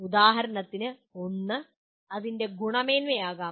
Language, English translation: Malayalam, For example one may be its quality